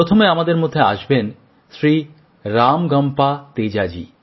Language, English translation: Bengali, to join us is Shri RamagampaTeja Ji